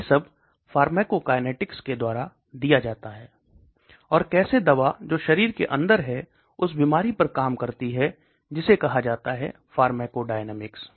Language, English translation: Hindi, That is all given by pharmacokinetics and how the drug which is inside the body acts on the disease that is called pharmacodynamics